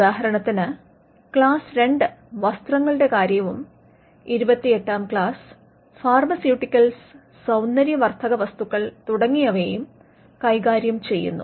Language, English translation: Malayalam, For example, class 2 deals with articles of clothing, and class 28 deals with pharmaceuticals and cosmetics